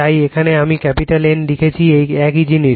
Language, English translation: Bengali, So, here I have written capital N same thing same thing